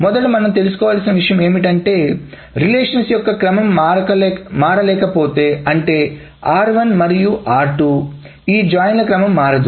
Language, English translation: Telugu, First thing is if the order of the relations cannot change, so that means the R1 and R2, the order of these joints cannot change